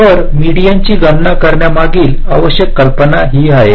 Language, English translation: Marathi, so the essential idea behind calculating median is this, right